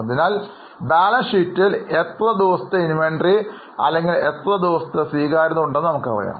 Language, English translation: Malayalam, So, we know that how many days of inventory or how many days of receivables are in the balance sheet